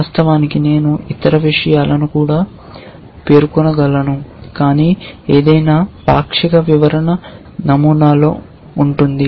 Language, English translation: Telugu, Of course, I can specify other things also, but any partial description can be there in the pattern